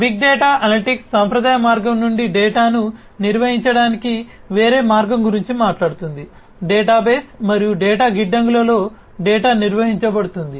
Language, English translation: Telugu, Big data analytics talks about a different way of handling data from the conventional way, data are handled in databases and data warehouses